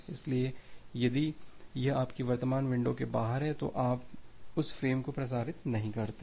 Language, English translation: Hindi, So, if it is outside your current window you do not transmit that frame